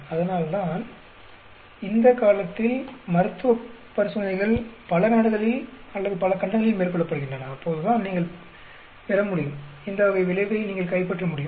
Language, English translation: Tamil, And that is why now a days most of the clinical trials are carried out in multi country or multi continents, so that you get, you are able to capture this type of effect